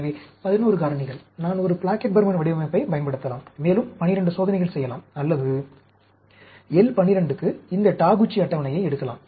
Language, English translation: Tamil, So, 11 factors, I can use a Plackett Burman design, and do a 12 experiment, or I can pick up this Taguchi table for L12